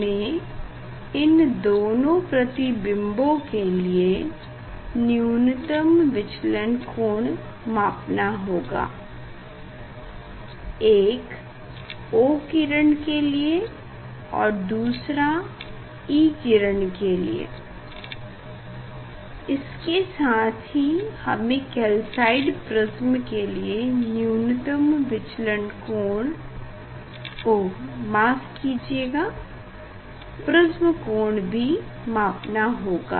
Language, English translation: Hindi, we have to measure the minimum deviation of this two image; one is for O ray another is for E ray, as well as we have to measure the deviation minimum deviation sorry the angle of prism calcite prism